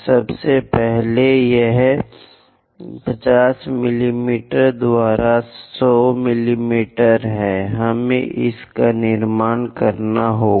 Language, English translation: Hindi, First of all, this is 100 mm by 50 mm; we have to construct it